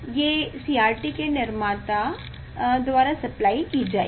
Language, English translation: Hindi, these will be supplied by the manufacture of the CRT